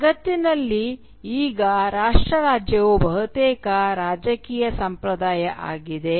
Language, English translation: Kannada, Now nation state is almost a political norm in the world